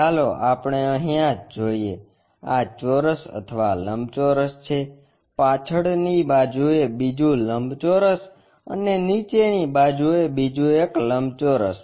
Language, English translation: Gujarati, Here let us look at this, this is a square or rectangle, another rectangle on the back side and another rectangle on the bottom side